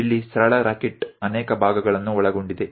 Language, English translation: Kannada, Here a simple rocket consists of many parts